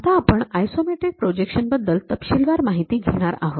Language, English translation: Marathi, Now, we will learn more about this isometric projection in detail